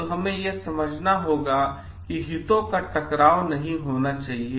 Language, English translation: Hindi, So, we have to understand that there should not be any conflict of interest